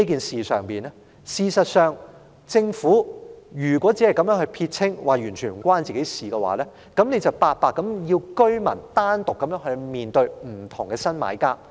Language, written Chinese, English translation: Cantonese, 事實上，如果政府要撇清這件事，表示完全與當局無關，那就是要居民獨自面對不同的新買家。, In fact if the Government has to dissociate itself from the incident stating that the Government is not involved in any case the residents will be left to deal with various new buyers on their own